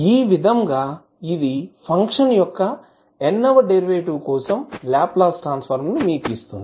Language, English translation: Telugu, So, this will give you the Laplace transform for nth derivative of our function